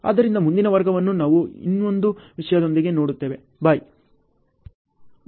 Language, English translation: Kannada, So, next class we will see with another topic, bye